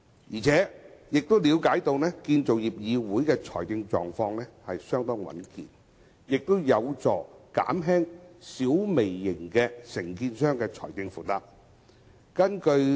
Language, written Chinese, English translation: Cantonese, 我們亦了解到，由於建造業議會的財政狀況相當穩健，有關建議有助減輕小微型承建商的財政負擔。, We also understand that as CIC is financially stable the proposal will help alleviate the financial burden of small and micro contractors